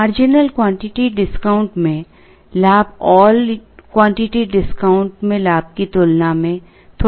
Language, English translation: Hindi, The gain in the marginal quantity discount is slightly lesser than, the gain in the all quantity discount